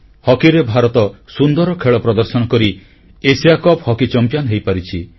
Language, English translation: Odia, In hockey, India has won the Asia Cup hockey title through its dazzling performance